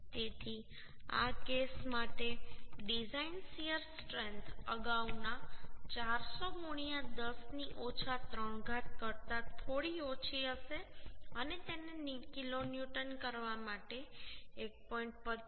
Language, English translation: Gujarati, 9 So design shear strength for this case will be little less than the earlier one that is 400 into 10 to the power minus 3 for making it kilonewton into 1